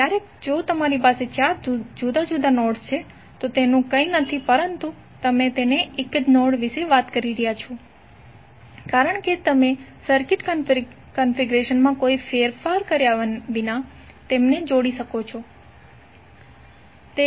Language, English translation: Gujarati, So eventually if you have four different nodes it is nothing but you are talking about one single node, because you can join then without any change in the circuit configuration